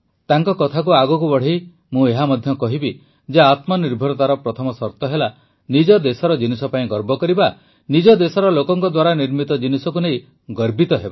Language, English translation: Odia, Furthering what he has said, I too would say that the first condition for selfreliance is to have pride in the things of one's own country; to take pride in the things made by people of one's own country